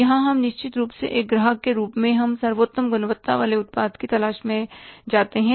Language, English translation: Hindi, So, here we certainly go for as a customer, we go for looking for the best quality product